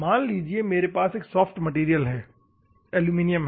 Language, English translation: Hindi, Assume that I have a soft material aluminum